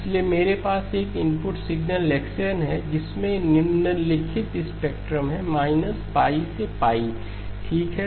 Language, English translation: Hindi, So I have an input signal x of n which has the following spectrum minus pi to pi okay